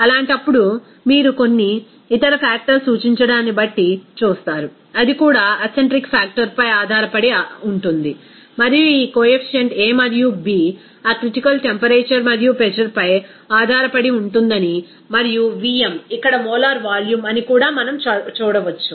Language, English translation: Telugu, In that case, you will see that some other factors it is denoted that is called K that is also depending on the acentric factor and also we can see that this coefficient a and b are depending on that critical temperature and pressure and Vm is here molar volume